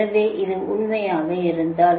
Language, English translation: Tamil, if this is true, right